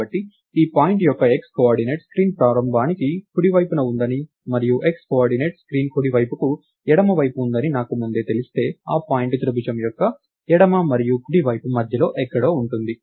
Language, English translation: Telugu, So, to do that if I know up front that the x coordinate of the point is to the right of the beginning of the screen and the x coordinate is to the left of the right side of the screen, then the point is somewhere in between the left and right side of the triangle